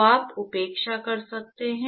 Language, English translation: Hindi, So, you could neglect